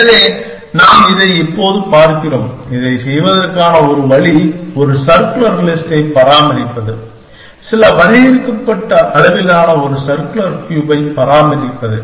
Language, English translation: Tamil, So, we are looking at this now, one way to do this is to maintain a circular list, maintain a circular cube of some finite size